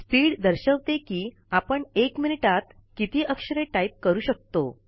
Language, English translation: Marathi, Speed indicates the number of characters that you can type per minute